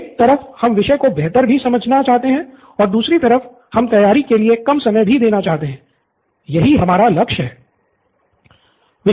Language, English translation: Hindi, Okay, so we want better understanding of the topic and less time for preparation, so this is what we are aiming for